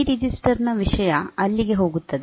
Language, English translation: Kannada, The content of the C register will go there